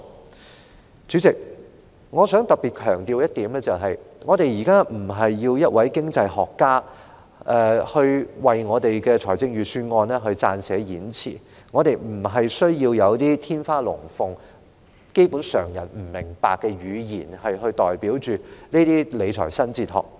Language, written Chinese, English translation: Cantonese, 代理主席，我想特別強調的一點，是我們現時不是要一位經濟學家來為預算案撰寫演辭，也並非需要天花亂墜的言詞，或基本上以常人不明白的語言來表達的那種理財新哲學。, Deputy Chairman I would like to stress that we are not asking for the Budget speech to be drafted by an economist nor do we need fancy rhetoric or the kind of new fiscal philosophy that is basically expressed in a language incomprehensible to ordinary people